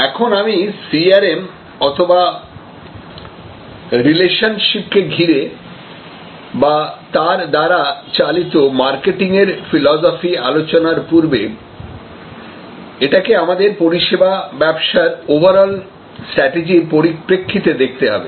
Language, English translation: Bengali, Now, before I get on to CRM or this whole philosophy of relationship driven marketing or relationship oriented marketing, it is important to see it in the perspective of the overall strategy of the service business